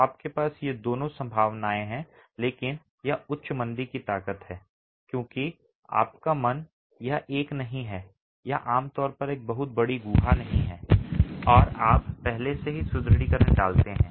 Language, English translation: Hindi, So, you have both these possibilities but it has to be high slump because mind you, it is not a, it is typically not a very large cavity and you've already put reinforcement there